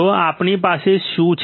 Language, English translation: Gujarati, So, what do we have